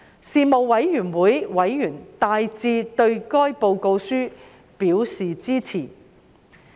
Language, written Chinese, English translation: Cantonese, 事務委員會委員大致對該報告書表示支持。, The Panel members expressed support to the report in general